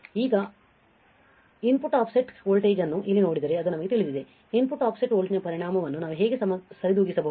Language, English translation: Kannada, Now, if you see here input offset voltage that we know right, how we can how we can compensate the effect of input offset voltage